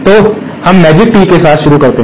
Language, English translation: Hindi, So, let us start with the magic tee